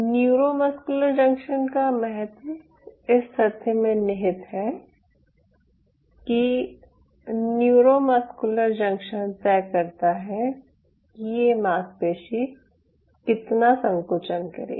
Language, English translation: Hindi, so the significance of neuromuscular junction lies in the fact that neuromuscular junction decides how much this muscle will contract